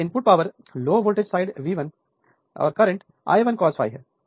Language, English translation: Hindi, Now, input power is input that low voltage side V 1 current is I 1 cos phi 1